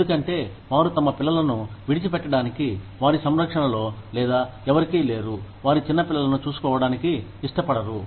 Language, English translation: Telugu, Because, they do not want to leave their children, in the care of, or they do not have anyone, to take care of their little children